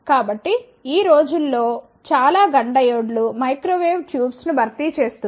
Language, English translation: Telugu, So, nowadays many of the GUNN diodes are replacing the microwave tubes